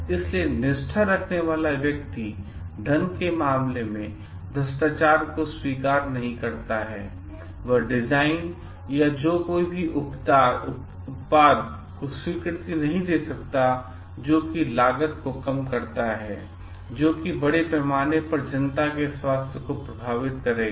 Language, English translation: Hindi, So, person with integrity is not going to accept corruption in terms of money to approve design or that might decrease the cost of a product, but it would affect the health of the public at large